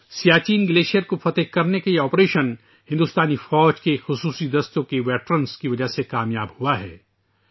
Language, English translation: Urdu, This operation to conquer the Siachen Glacier has been successful because of the veterans of the special forces of the Indian Army